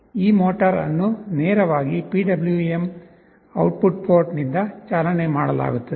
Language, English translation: Kannada, This motor will be driven directly from a PWM output port